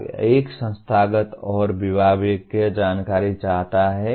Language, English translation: Hindi, Part 1 seeks institutional and departmental information